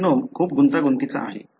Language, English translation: Marathi, The genome is very complex